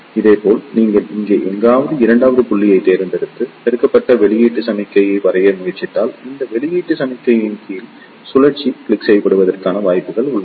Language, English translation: Tamil, Similarly, if you select the second point somewhere here and if you try to draw the amplified output signal, there are chances that the lower cycle of this output signal may get clipped